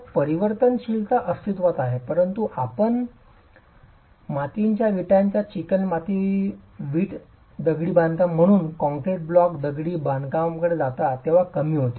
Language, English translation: Marathi, So, the variability exists but still reduces when you go from clay brick masonry to concrete block masonry